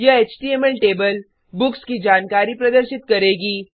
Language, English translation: Hindi, This HTML table will display details of the books